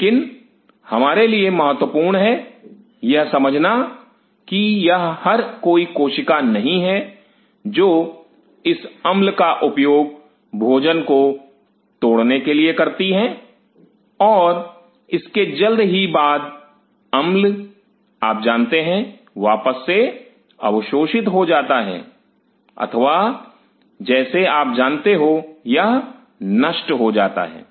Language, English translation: Hindi, But what is important for us to realize that it is not every cell and they utilize this acid to break the food and soon after that this acid is kind of you know again re absorbed or kind of you know it is destroyed